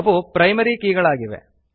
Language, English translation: Kannada, They are the Primary Keys